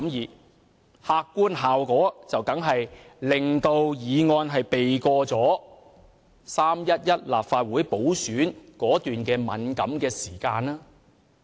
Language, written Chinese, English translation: Cantonese, 這樣做的客觀效果，當然是令《條例草案》避過了3月11日立法會補選的敏感時間。, The objective effect of doing so was of course that the Bill avoided the sensitive timing of the Legislative Council By - election held on 11 March